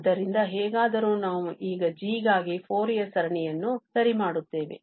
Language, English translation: Kannada, So, anyways, so we will right now the Fourier series for the g